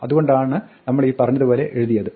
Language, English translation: Malayalam, That is why we will write it this say